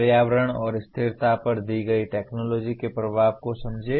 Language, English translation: Hindi, Understand the impact of a given technology on environment and sustainability